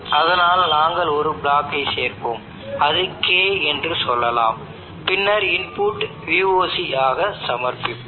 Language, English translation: Tamil, So we will add a block let us say that is K, and then we will submit as input VOC